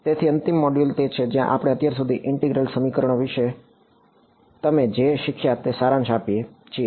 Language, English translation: Gujarati, So the final module is where we summarize what you have learnt about integral equations so far